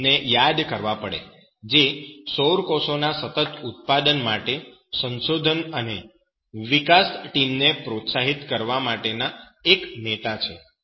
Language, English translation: Gujarati, W Fraser Russell is a leader in motivated research and development for the continuous production of solar cells